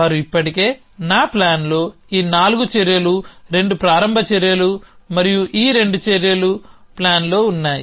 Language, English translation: Telugu, Already they in my plan this 4 actions the 2 start actions and the this 2 actions at for they in plan